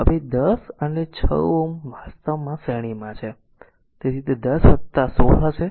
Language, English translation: Gujarati, Now 10 and 6 ohm actually there in series; so, it will be 10 plus 16